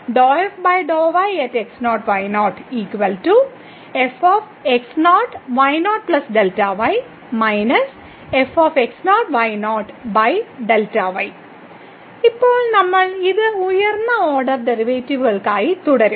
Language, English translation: Malayalam, Now we will continue this for higher order derivatives